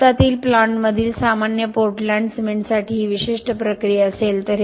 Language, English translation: Marathi, This would be the typical process for ordinary port land cement in a plant in India